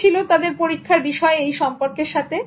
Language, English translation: Bengali, What was the experiment conducted with relation to this